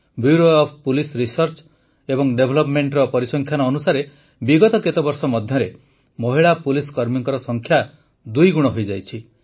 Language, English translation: Odia, The statistics from the Bureau of Police Research and Development show that in the last few years, the number of women police personnel has doubled